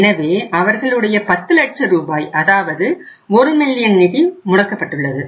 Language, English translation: Tamil, So their funds are blocked that is 10 lakh rupees, 1 million